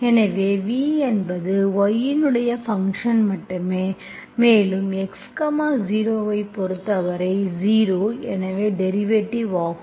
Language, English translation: Tamil, So v is only function of y and you are different shooting with respect to x, 0